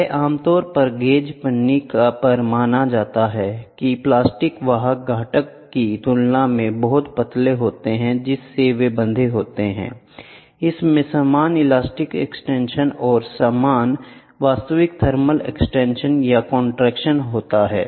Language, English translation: Hindi, It is normally assumed at the gauge foil itself the plastic carrier are so thin compared with the component to which they are a bonded that it has the same elastic extension and the same actual thermal expansion or contraction